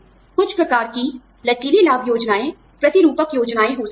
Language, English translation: Hindi, Some types of, flexible benefits plans could be, modular plans